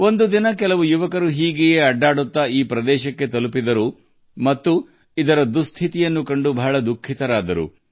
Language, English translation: Kannada, One day some youths roaming around reached this stepwell and were very sad to see its condition